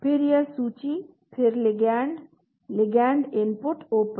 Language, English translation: Hindi, Then this list then ligand, ligand input open